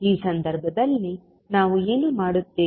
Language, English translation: Kannada, So in this case, what we will do